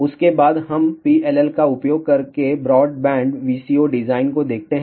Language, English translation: Hindi, After that we look at a broadband VCO design using PLL